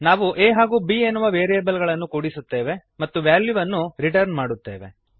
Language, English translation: Kannada, We add the variables a and b And then return the value